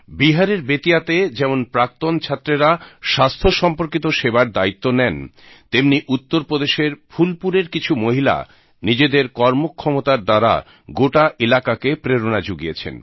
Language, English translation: Bengali, On one hand, in Bettiah in Bihar, a group of alumni took up the task of health care delivery, on the other, some women of Phulpur in Uttar Pradesh have inspired the entire region with their tenacity